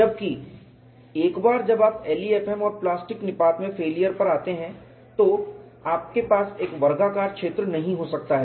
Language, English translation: Hindi, It is like a square whereas, once you come to the failure in LEFM and plastic collapse, you cannot have a square zone